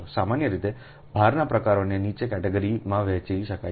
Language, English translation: Gujarati, in general, the types of load can be divided into following categories